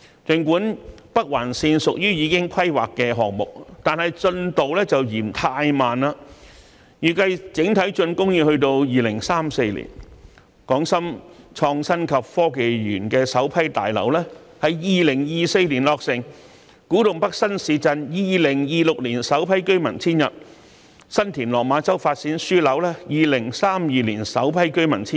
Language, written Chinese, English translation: Cantonese, 儘管北環綫屬於已規劃項目，但進度卻略嫌太慢，現時預計整體竣工要到2034年；港深創新及科技園首批大樓在2024年落成；古洞北新市鎮在2026年首批居民遷入，以及新田/落馬洲發展樞紐在2032年首批居民遷入。, Although the Northern Link is a planned project the progress of development is a bit too slow . It is currently expected that the project will only be completed in 2034; the first phase of buildings of the Hong Kong - Shenzhen Innovation and Technology Park will be completed in 2024; the first batch of residents will move into the new town of Kwu Tung North in 2026 and the first batch of residents will move into the Development Node in 2032